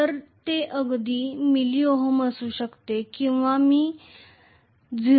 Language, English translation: Marathi, So, it can be even milli ohms or you know it can be just 0